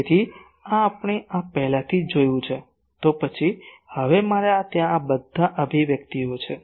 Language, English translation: Gujarati, So, this we have already seen so, then what is now I have all this expressions there